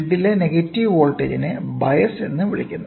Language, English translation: Malayalam, The negative voltage on the grid is termed as bias, ok